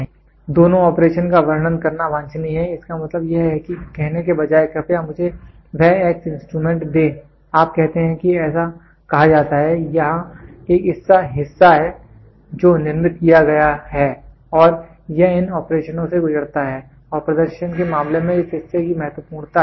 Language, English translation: Hindi, So, it is desirable to describe both the operation; that means, to say rather than saying please give me that x instrument, you say that is say so, here is a part in which is manufactured and this undergoes these these these operations and this is what is the criticality of this part in terms of performance